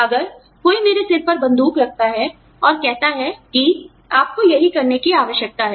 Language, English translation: Hindi, If somebody puts a gun to my head, and says, that this is what, you need to do